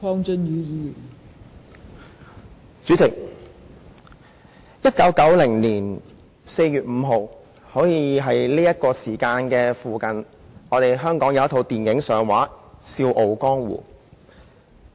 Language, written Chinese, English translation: Cantonese, 代理主席 ，1990 年4月5日，差不多是這個時候，香港有一齣電影上映："笑傲江湖"。, Deputy President on 5 April 1990 about this time of the year the film The Proud Youth made its debut in the cinemas of Hong Kong